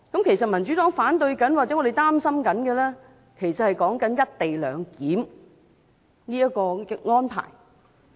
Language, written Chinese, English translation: Cantonese, 其實，民主黨反對或擔心的，是"一地兩檢"的安排。, In fact the co - location arrangement is what the Democratic Party opposes or worries about